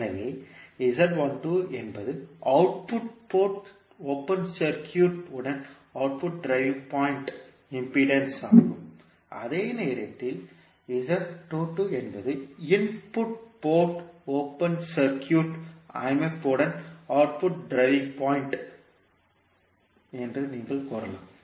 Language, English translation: Tamil, So, Z12 is the input driving point impedance with the output port open circuited, while you can say that Z22 is the output driving point impedance with input port open circuited